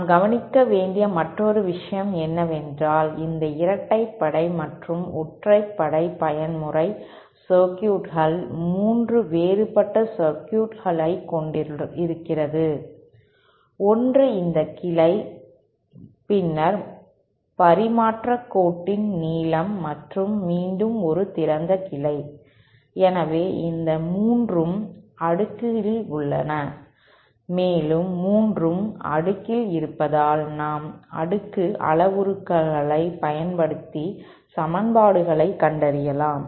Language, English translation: Tamil, The other thing that we note is that these even and odd mode circuits consist of 3 different circuits, one is this branch, then the length of the transmission line and again an open branch, so these 3 are in cascade and because the 3 are in cascade, we can apply the cascade parameters to find out the equations